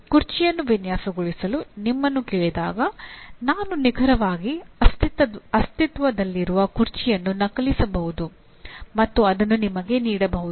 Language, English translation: Kannada, When you are asked to design a chair, I may exactly copy an existing chair and give you that